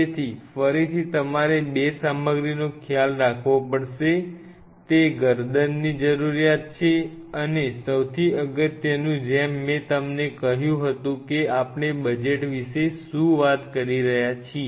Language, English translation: Gujarati, So, again you have to realize couple of a stuff, it is the neck requirement and most importantly as I told you say about the budget what are we talking about